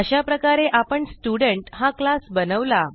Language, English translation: Marathi, Thus We have created the class student